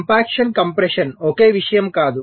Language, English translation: Telugu, compaction and compression are not the same thing